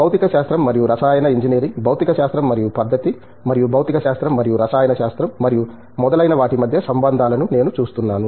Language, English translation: Telugu, I am seeing the connections between physics and chemical engineering, physics and methodology, and physics and e, physics and chemistry and so on